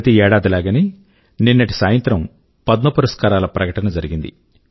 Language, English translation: Telugu, Like every year, last evening Padma awards were announced